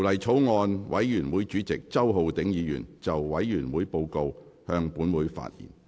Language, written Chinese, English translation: Cantonese, 法案委員會主席周浩鼎議員就委員會報告，向本會發言。, Mr Holden CHOW Chairman of the Bills Committee on the Bill will address the Council on the Committees Report